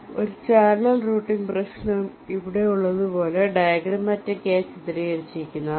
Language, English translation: Malayalam, so so a channel routing problem is diagrammatically depicted like here